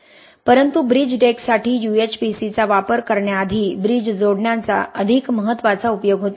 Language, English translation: Marathi, So you use it for bridge decks but before UHPC was used for bridge decks the more critical application was bridge connections